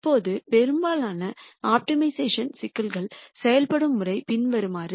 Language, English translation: Tamil, Now, the way most optimization problems work is the following